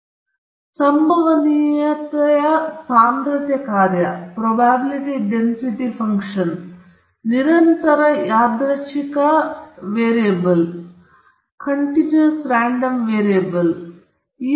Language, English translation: Kannada, So the probability density function describes the distribution of probabilities in the continuous random variable domain